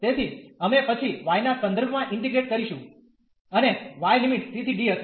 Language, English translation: Gujarati, So, we will integrate with respect to y then and y the limits will be c to d